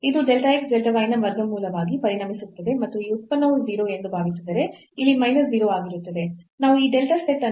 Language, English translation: Kannada, So, this will become as the square root of delta x delta y and this is minus 0 here assuming that this product is 0